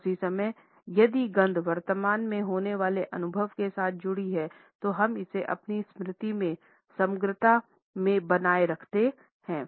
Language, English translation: Hindi, At the same time if the smell is associated with a currently occurring experience, we retain it in our memory in totality